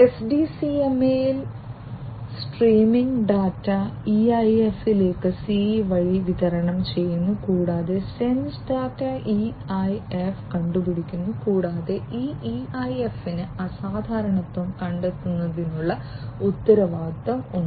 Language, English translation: Malayalam, In SDCMA, the streaming data is supplied to the EIF by the CE, and the sense data is detected by the EIF, and this EIF is also responsible for detecting the abnormality